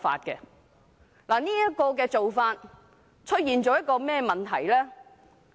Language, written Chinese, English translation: Cantonese, 這個做法會產生甚麼問題？, What problem will arise from such a process?